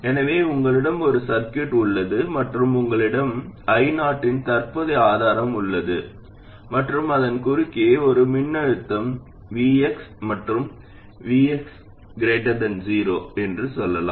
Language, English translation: Tamil, So let's say you have a circuit and you have a current source of value I 0 somewhere and the voltage across that is some VX, let's say, and VX is greater than 0